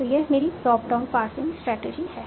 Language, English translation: Hindi, So that is my top down passing strategy